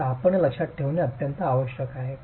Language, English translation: Marathi, So, you need to keep this in mind